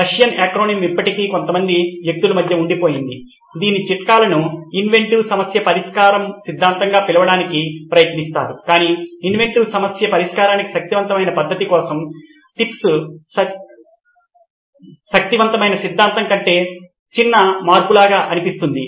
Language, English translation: Telugu, The Russian acronym still stays in between some people did try to call it tips as theory of inventive problem solving TIPS, but for a powerful method like for inventive problem solving, TIPS sound it more like pocket change than a powerful theory